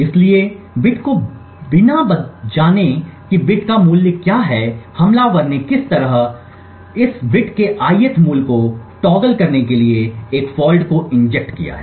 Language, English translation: Hindi, So without knowing the bit what the value of the bit is the attacker has somehow injected a fault to toggle the ith value of this bit